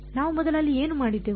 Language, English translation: Kannada, What did we do there first